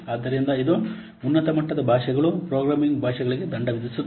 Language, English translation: Kannada, So it penalizes the high level languages, programming languages